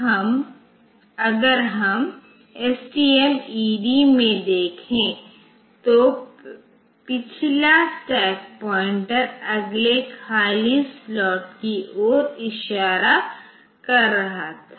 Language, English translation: Hindi, Now, if we are having say the STMED then the previous stack pointer was pointing to the next empty slot